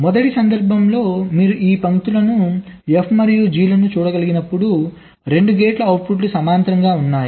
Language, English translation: Telugu, as you can see, these lines f and g, the outputs of two gates are running parallel